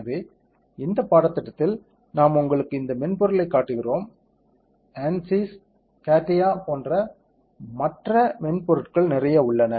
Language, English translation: Tamil, So, in this course we are showing you this software there are lot of other softwares ANSYS, CATIA lot of softwares are there we showing this to you as an example ok